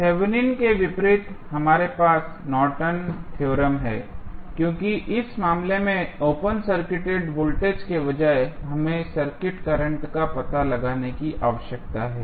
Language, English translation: Hindi, Opposite to the Thevenin's we have the Norton's theorem, because in this case, instead of open circuit voltage, we need to find out the circuit current